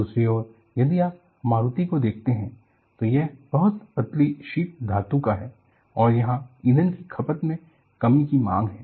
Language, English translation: Hindi, On the other hand if you look at Maruti, it is of very thin sheet metal work and there is also a demand on fuel consumption deduction